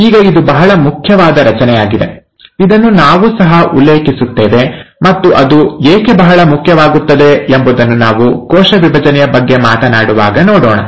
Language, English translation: Kannada, Now this is a very important structure, we will refer this to, we’ll come back to this when we are talking about cell division and why it becomes very important